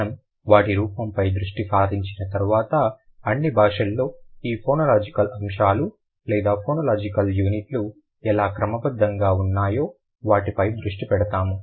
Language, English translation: Telugu, After we focus on their form, we will focus on their order, how these phonological items or the phonological units are order in the world's languages